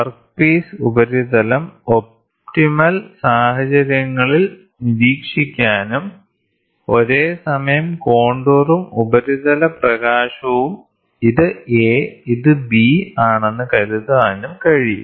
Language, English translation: Malayalam, So, that the work piece surface can be observed under optimum conditions and then simultaneous contour and surface illumination is also possible suppose this is A, this is B